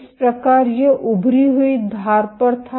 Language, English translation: Hindi, So, this was at the protruding edge